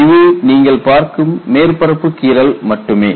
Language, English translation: Tamil, There is no crack front it is only a surface scratch that you see